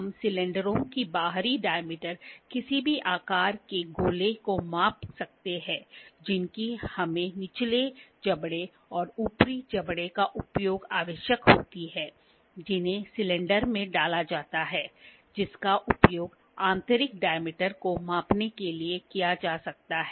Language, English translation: Hindi, We can measure the external diameter of the cylinders, spheres of any body that we require using the lower jaws and the upper jaws which can be inserted into the cylinder that can be used to measure the internal dia